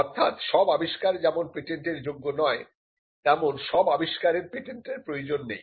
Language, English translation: Bengali, So, not all inventions are patentable, and not all inventions need patents